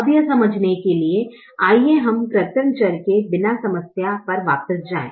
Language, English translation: Hindi, now, to understand that, let us go back to the problem without the artificial variable